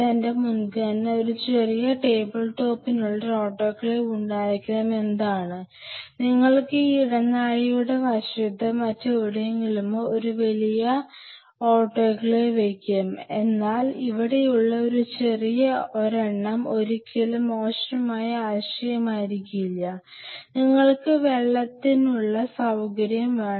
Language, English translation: Malayalam, So, my preference will be having an autoclave inside a small table top, you can have a big autoclave outside maybe on the side of the corridor or somewhere, but a small one out here may not be a bad idea, and you have the water supply we talked about it